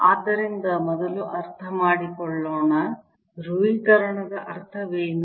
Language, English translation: Kannada, so let us first understand what does polarization mean